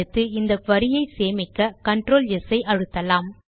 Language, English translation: Tamil, Next, let us save this query, by pressing Control S